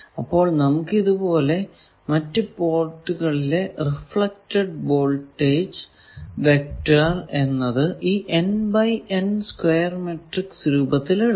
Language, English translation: Malayalam, So, you can write it as the various port reflected voltages this vector is equal to this matrix square matrix n by n matrix and then you have another n length capital n length vector